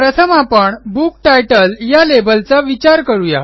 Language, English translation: Marathi, Let us first consider the Book Title label